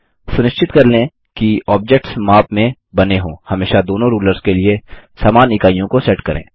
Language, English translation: Hindi, To make sure that the objects are drawn to scale, always set the same units of measurements for both rulers